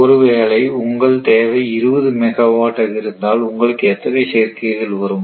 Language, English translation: Tamil, If you make total demand is say ah 20 megawatt for example, then how many combination will come